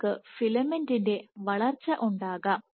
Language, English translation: Malayalam, You can have growth of the filament